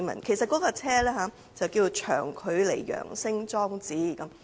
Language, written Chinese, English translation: Cantonese, 其實該裝置正式名稱為長距離揚聲裝置。, In fact the device has been formally known as the Long Range Acoustic Device